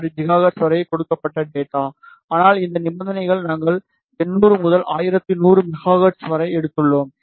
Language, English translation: Tamil, 6 gigahertz, but these conditions we have taken for 800 to 1100 megahertz